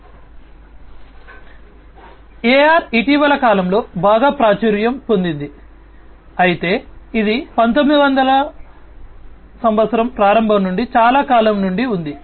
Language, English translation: Telugu, So, AR has become very popular in the recent times, but it has been there since long starting from early 1900s